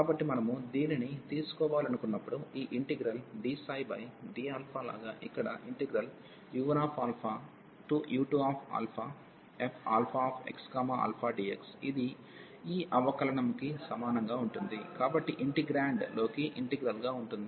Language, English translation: Telugu, So, when we want to take this, like d over d alpha of this integral here u 1 to u 2 of this f x alpha dx, so this will be equal to the this derivative will go inside the integral so over the integrand